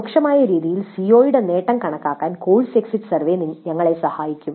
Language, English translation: Malayalam, So the course exit survey would help us in computing the attainment of CO in an indirect fashion